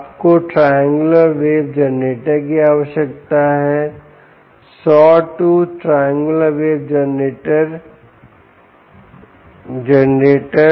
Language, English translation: Hindi, you need a triangular wave generator, sawtooth triangular wave generator